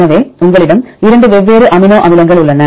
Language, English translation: Tamil, So, you have two different amino acids